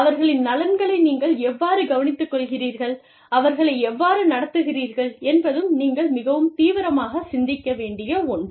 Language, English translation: Tamil, And, how do you treat them, how do you look after their interests, is something, that you need to think about, very, very seriously